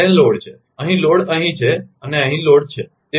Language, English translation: Gujarati, And load is, here load is here and load is here